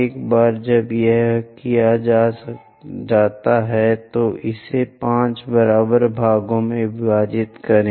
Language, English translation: Hindi, Once it is done, divide that into 5 equal parts